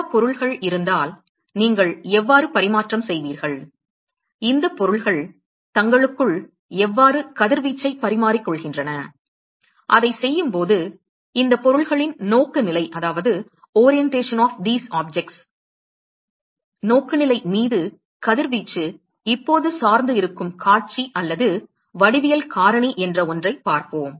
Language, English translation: Tamil, Supposing if there are multiple objects then how would you exchange, how does how do these objects exchange radiation between themselves etcetera and while doing that we will also look at we will look at something called view/geometric factor those the radiation is now going to depend upon the orientation of these objects